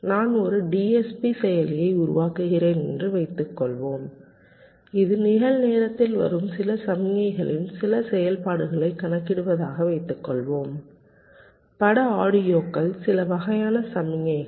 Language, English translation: Tamil, suppose i am building a dsp processor which is suppose to compute some operation on some signals which are coming in real time image, audios, some kind of signals